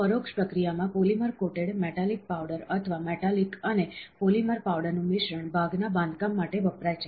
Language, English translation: Gujarati, In indirect processing, a polymer coated metallic powder, or a mixture of metallic and a polymer powder are used for part construction